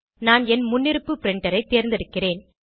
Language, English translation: Tamil, I will select my default printer